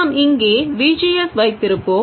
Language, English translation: Tamil, We will have V, G, S here